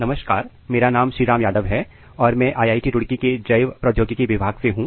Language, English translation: Hindi, Hello everyone my name is Shri Ram Yadav from Department of Biotechnology IIT Roorkee